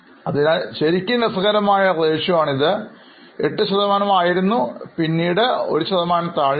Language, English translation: Malayalam, So, really interesting ratio it was 8%, then became less than 1% and it's negative in last 3 years